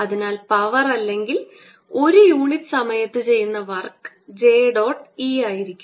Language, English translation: Malayalam, so power or the work done per unit time is going to be j dot e